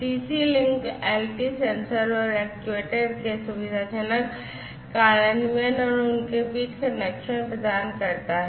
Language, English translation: Hindi, CC link LT provides convenient implementation of sensors and actuators and connecting between them